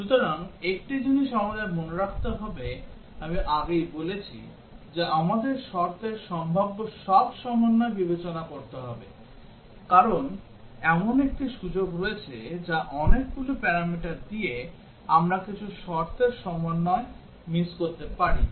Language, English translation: Bengali, So, one thing we must remember I have told earlier that we have to consider all possible combinations of condition, because there is a chance that given many parameters we might miss out some combinations of conditions